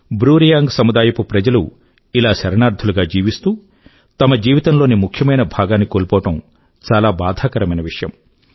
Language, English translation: Telugu, It's painful that the BruReang community lost a significant part of their life as refugees